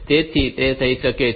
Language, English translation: Gujarati, So, that can happen